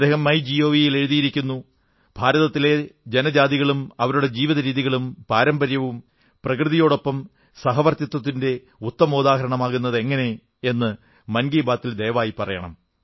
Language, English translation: Malayalam, He wrote on Mygov Please take up the topic "in Mann Ki Baat" as to how the tribes and their traditions and rituals are the best examples of coexistence with the nature